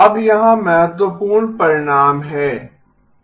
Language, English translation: Hindi, Now here is the key result